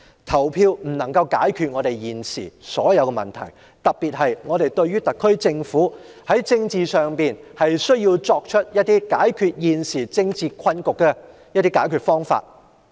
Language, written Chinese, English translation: Cantonese, 投票不能解決現時所有的問題，因為現今的政治困局需要特區政府在政治上提出解決方法。, Voting is not a solution to existing problems because the current political quagmire requires political solutions from the SAR Government